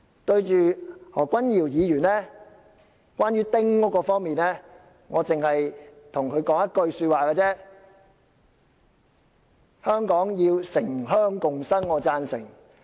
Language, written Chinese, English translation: Cantonese, 關於何君堯議員就丁屋方面的發言，我只想向他說一句話：香港要城鄉共生，我是贊成的。, As regards Dr Junius HOs speech on the small house policy I just want to say to him I support urban - rural coexistence in Hong Kong